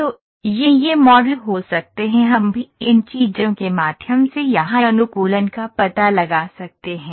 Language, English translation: Hindi, So, this can these models can be also we can prove through these things to find the optimization here